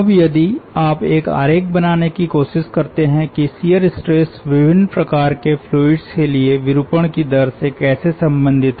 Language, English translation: Hindi, now, if you try to make a sketch of how the shear stress relates with the rate of deformation for different types of fluids, let us take some examples